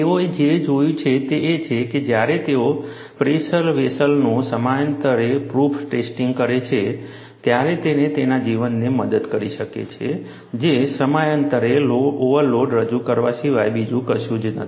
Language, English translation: Gujarati, What they have looked at is, when they do periodic proof testing of the pressure vessel, it has helped its life, which is nothing, but introducing overload at periodic intervals